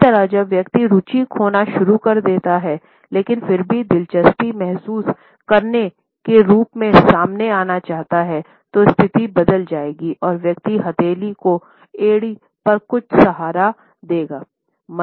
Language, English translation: Hindi, Similarly, when the person begins to lose interest, but still wants to come across as feeling interested, then the position would alter and the person would start feeling some support on the heel of the palm